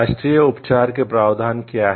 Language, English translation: Hindi, What are the provisions of the national treatment